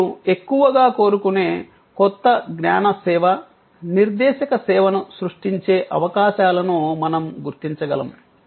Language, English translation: Telugu, We could identify the opportunities of creating the highly demanded new knowledge service, referential service that people wanted